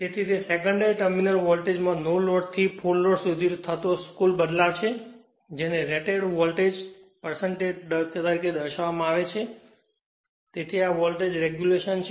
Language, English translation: Gujarati, So, it is the net change in the secondary terminal voltage from no load to full load expressed as a percentage of it is rated voltage so, this is my voltage regulation right